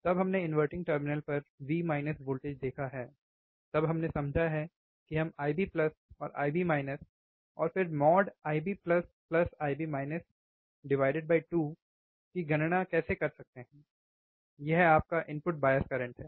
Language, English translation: Hindi, tThen we have seen V minus voltage at inverting terminal, then we have understood how we can calculate I b plus and I b minus and then mode of divide by 2, that was your input bias current